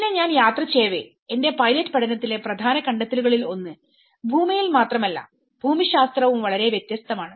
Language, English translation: Malayalam, And then, while I was travelling one of the important finding in my pilot study was the geography is very different not only in land